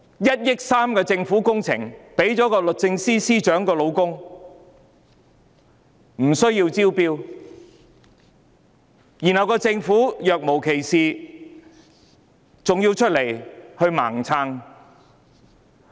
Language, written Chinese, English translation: Cantonese, 1億 3,000 萬元的政府工程無須招標便批予律政司司長的丈夫，政府還要若無其事，出來"盲撐"。, A government project of 130 million was awarded to the husband of the Secretary for Justice without tendering and the Government still indiscriminately supported her as if nothing has happened